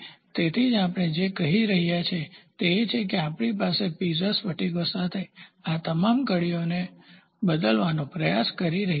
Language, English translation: Gujarati, So, that is why today what we are doing is we are trying to replace all these linkages with Piezo crystals